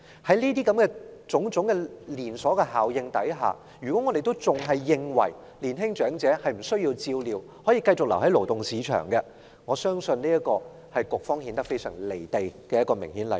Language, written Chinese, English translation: Cantonese, 在種種連鎖效應下，如果我們仍然認為年青長者不需要照料，可繼續留在勞動市場，我相信這是顯示局方非常"離地"的明顯例子。, With such knock - on effects if we still consider that those young - olds need no care and can remain in the labour market I believe it is an obvious example showing that the authorities are strikingly out of touch with reality